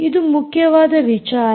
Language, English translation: Kannada, that is very important